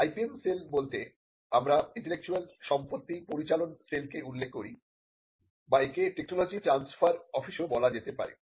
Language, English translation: Bengali, This is a typical example of how it is done and by IPM cell we refer to the intellectual property management cell or it could also be called the technology transfer office